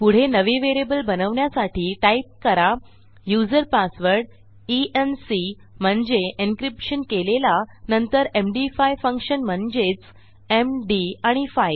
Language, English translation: Marathi, Next Ill create a new variable called user password e n c which stands for encryption and Ill define my MD5 functions, which is basically m,d and 5